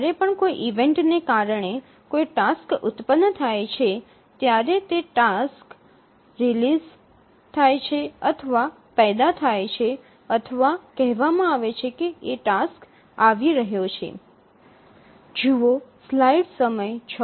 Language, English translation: Gujarati, So whenever a task gets generated due to an event, we say that the task is released or is generated or we even say that task has arrived